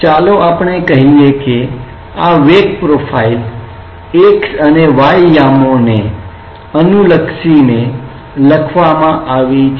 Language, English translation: Gujarati, And let us say this velocity profile is given in terms of the x and y coordinates